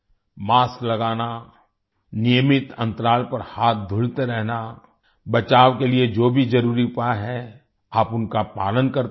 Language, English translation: Hindi, Wearing a mask, washing hands at regular intervals, whatever are the necessary measures for prevention, keep following them